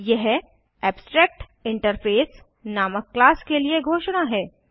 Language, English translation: Hindi, This is declaration for a class named abstractinterface